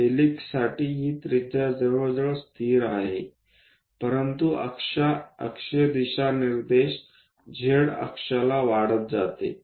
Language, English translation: Marathi, For helix, this radius is nearly constant, but axial directions z axis increases